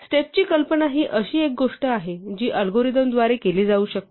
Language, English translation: Marathi, The notion of a step is something that can be performed by whatever is executing the algorithm